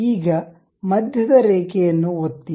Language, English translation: Kannada, now click a centre line